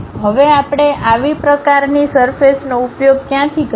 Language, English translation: Gujarati, Now, where do we use such kind of surfaces